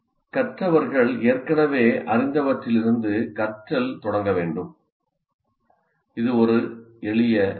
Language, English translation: Tamil, So learning needs to start from what the learners already know